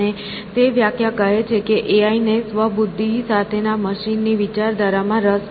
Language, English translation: Gujarati, And, the definition says that AI is interested in the idea of machines with minds of their own essentially